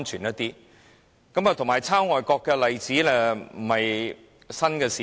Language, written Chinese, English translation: Cantonese, 至於抄襲外國的例子亦非新事物。, As to examples of copying things from foreign countries they are nothing new too